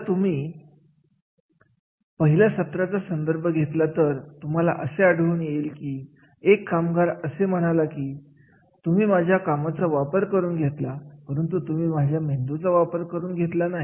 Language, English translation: Marathi, If you refer my the module one you will find the one worker has said that is you have used my hands but you have not used my brain